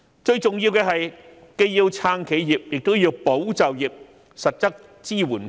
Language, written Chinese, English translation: Cantonese, 最重要的是，既要撐企業，亦要保就業，向僱員提供實質支援。, Most importantly while supporting enterprises it should safeguard jobs by providing workers with material support